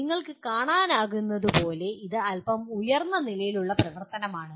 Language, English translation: Malayalam, As you can see this is slightly higher level